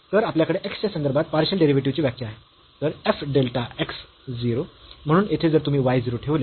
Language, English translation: Marathi, So, we have the definition of the partial derivative with respect to x so, f delta x 0, so here if you put y 0